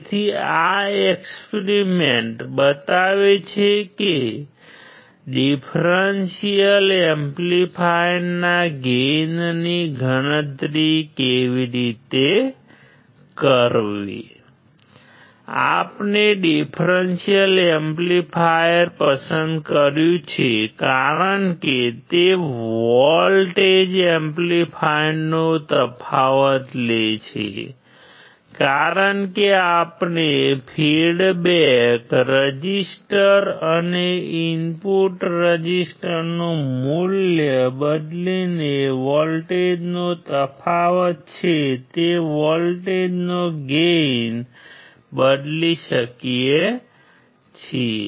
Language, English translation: Gujarati, So, this experiment shows how to calculate the gain of a differential amplifier; we chose differential amplifier because it takes a difference of voltages; amplifier because we can change the gain of the voltage that is difference of voltage by changing the value of feedback resistor and the input resistor